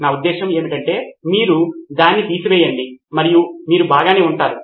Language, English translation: Telugu, I mean just remove that and you would’ve been fine